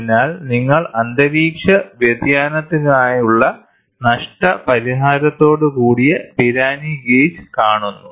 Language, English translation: Malayalam, So, you see this Pirani gauge with compensation for ambient temperature change